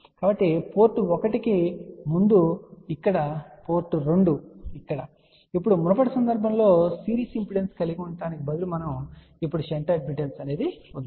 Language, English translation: Telugu, So, we have here again as before port 1 here, port 2 here, now instead of having a series impedance in the previous case now we have a shunt admittance